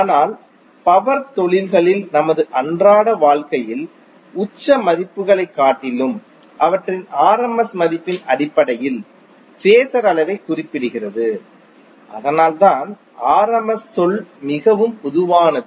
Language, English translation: Tamil, But in our day to day life the power industries is specified phasor magnitude in terms of their rms value rather than the peak values, so that’s why the rms term is very common